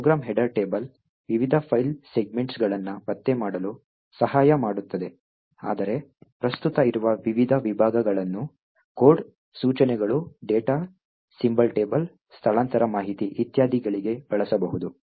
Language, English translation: Kannada, The Program header table helps to locate the various file segments, while the various segments present could be used for code, instructions, data, symbol table, relocation information and so on